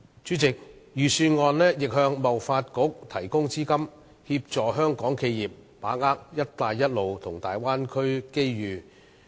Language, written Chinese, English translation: Cantonese, 主席，預算案亦向香港貿易發展局提供資金，協助香港企業把握"一帶一路"和大灣區的機遇。, Chairman the Budget has also provided funds for the Hong Kong Trade Development Council for assisting local enterprises in seizing opportunities arising from the Belt and Road Initiative and the Bay Area development